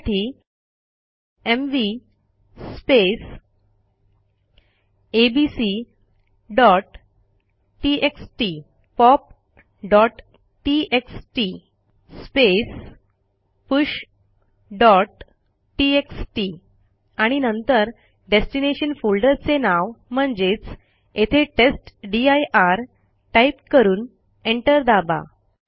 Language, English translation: Marathi, What we need to do is type mv space abc.txt pop.txt push.txt and then the name of the destination folder which is testdir and press enter